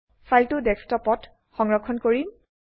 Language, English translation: Assamese, Select Desktop to save the file on Desktop